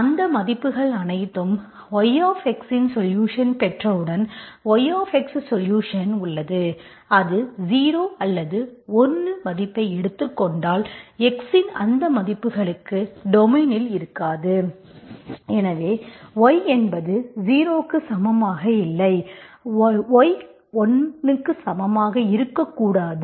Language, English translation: Tamil, And all those values, once you get the solution yx, okay, you have a solution yx, if it takes the value 0 or 1, for those values of x, that is also not in your domain